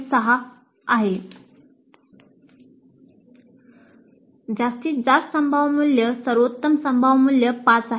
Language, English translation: Marathi, 6 and the maximum possible value, the best possible value is 5